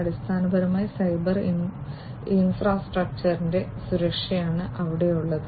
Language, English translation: Malayalam, So, it is basically the security of the cyber infrastructure that is there